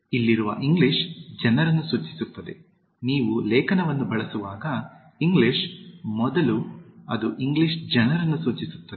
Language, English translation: Kannada, The English here refers to the people, when you use the article the, before English it refers to the English people